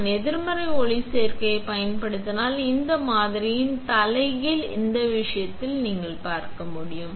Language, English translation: Tamil, If I use a negative photoresist, the reverse of this pattern will come which you can see in this case